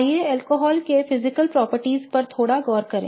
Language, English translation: Hindi, Let us look at the physical properties of alcohols a little bit